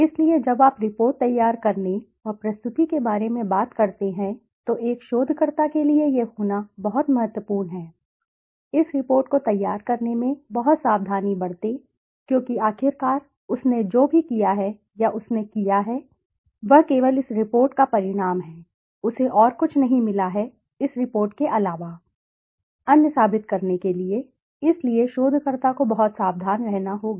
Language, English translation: Hindi, So, when you talk about the report preparation and presentation it is extremely important for a researcher to be very, very careful in preparing this report because ultimately whatever he has done or she has done the outcome is only this report, he has got nothing else to prove other than this report so the researcher has to be very careful